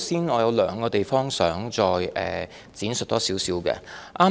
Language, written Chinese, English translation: Cantonese, 我有兩個地方想多作闡述。, There are two points that I would like to elaborate